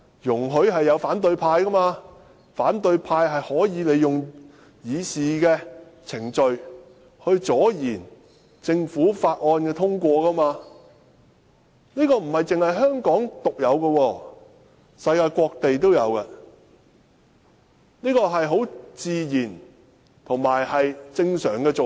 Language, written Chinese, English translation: Cantonese, 容許反對派利用議事程序阻延政府法案的通過，並非香港獨有，世界各地也有，這是很自然及正常的做法。, The use of rules of procedure by the opposition to stall the passage of government bills is not unique to Hong Kong . This is also found in other parts of the world a very common and normal practice